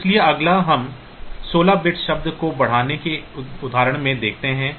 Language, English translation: Hindi, So, next we look into an example of incrementing a 16 bit word